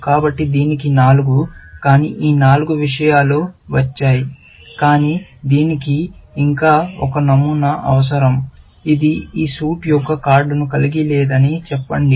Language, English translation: Telugu, So, it has got four, but four these things, but it still needs one pattern, which says that it does not have a card of this suit s